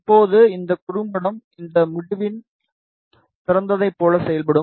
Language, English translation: Tamil, And now, this short will act like a open at this end